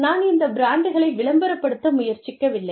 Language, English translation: Tamil, And, i am not trying to promote, these brands